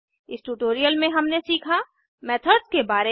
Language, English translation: Hindi, In this tutorial we will learn What is a method